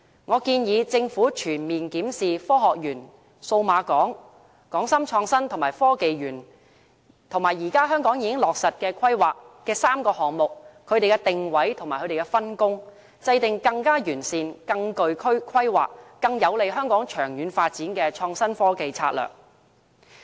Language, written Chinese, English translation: Cantonese, 我建議政府全面檢視科學園、數碼港、港深創新及科技園，現時本港已落實規劃的3個項目的定位和分工，制訂更完善、更具規劃、更有利香港長遠發展的創新科技策略。, I suggest that the Government should make a comprehensive review of the Science Park Cyberport and Hong KongShenzhen Innovation and Technology Park and that it should also review the positioning and the division of work of the three projects already with concrete planning with a view to mapping out a better and more well - planned innovation and technology strategy that is more beneficial to the long - term development of Hong Kong